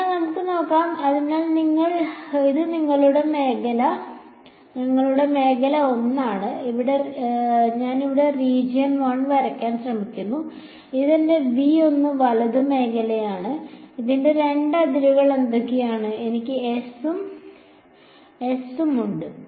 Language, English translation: Malayalam, So, let us see, so this is our region 1 I am trying to draw region 1 over here this is my v 1 right region 1, what are the two boundaries of this I have S and S infinity ok